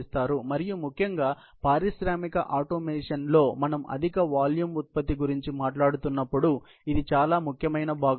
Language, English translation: Telugu, And particularly, in the industrial automation, it is a very important component when we are talking about high volume production